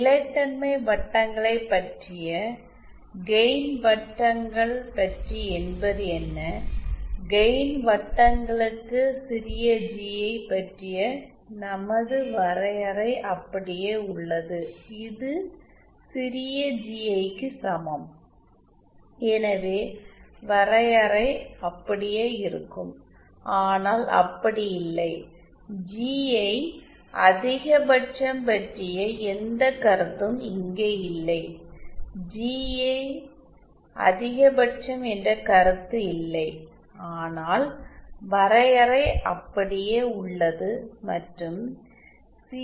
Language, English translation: Tamil, what about the gain circles that was about the stability circles but what about the gain circles so for the gain circles our definition of small GI remains the same which is small GI is equal to, so that the definition remains the same however not that we don’t have any concept of GI max here there is no concept of GI max but the definition remains the same and the definition of the CI and RI also remain the same